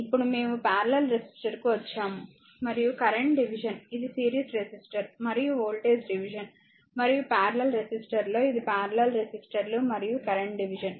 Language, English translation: Telugu, Now, we come to the parallel resistor, and the current division, that was series resistor and voltage division, and for in parallel resistor, it will be parallel resistors and current division, right